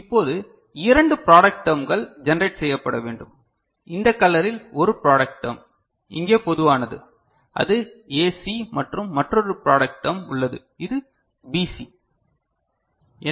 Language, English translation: Tamil, So, now if you see there are two product terms that need to be generated and one product term in this color over here you see they are common which is AC and another product term is there which is this one which is BC; is it clear